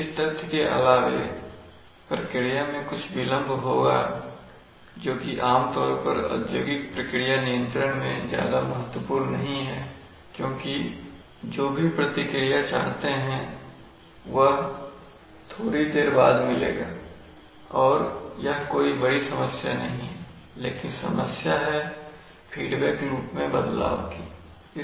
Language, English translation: Hindi, In the response there will be a delay that is generally not known order not of too much concern in industrial process control because they are generally, I mean, whatever response you want it will come a little later that is not so much of a problem but what is the problem is the change in the feedback loop